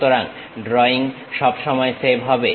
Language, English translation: Bengali, So, drawing always be saved